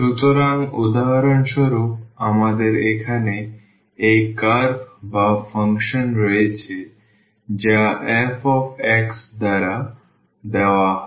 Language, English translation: Bengali, So, for instance we have this curve here or the function which is given by f x